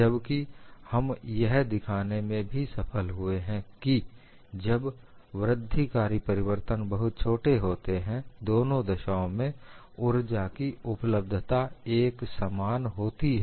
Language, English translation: Hindi, However, we were able to show when the incremental changes are small, the energy availability is same in both the cases